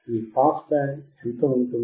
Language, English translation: Telugu, What will be your pass band